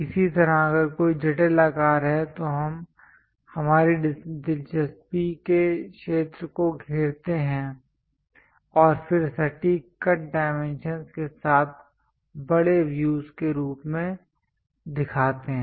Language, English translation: Hindi, Similarly, if there are any intricate shapes we encircle the area of interest and then show it as enlarged views with clear cut dimensions